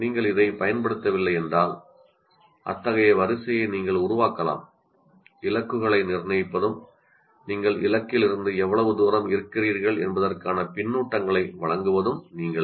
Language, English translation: Tamil, If you have not used this, you can construct such a sequence yourself of setting goals and giving feedback how far you are from the goal